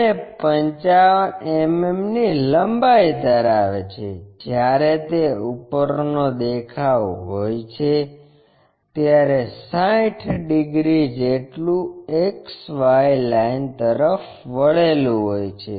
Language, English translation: Gujarati, And, measures 55 mm long while it is top view is 60 degrees and it is inclined to XY line